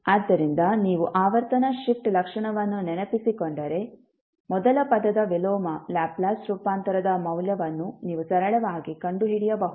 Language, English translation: Kannada, So, if you recollect the frequency shift property, you can simply find out the value of inverse Laplace transform of first term